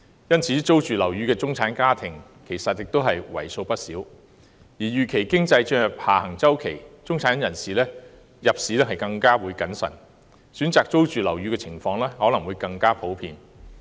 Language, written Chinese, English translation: Cantonese, 因此，租住樓宇的中產家庭其實為數不少，而由於經濟預期進入下行周期，中產人士入市將更謹慎，選擇租住樓宇的情況可能更普遍。, For this reason there are actually a great many middle - class families renting flats and the expectation of the economy entering a downward spiral will prompt heightened caution among the middle class in purchasing properties and may make it more common for them to rent flats instead